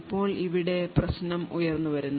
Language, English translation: Malayalam, Now the problem arises